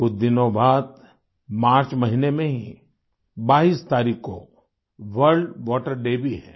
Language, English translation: Hindi, A few days later, just on the 22nd of the month of March, it's World Water Day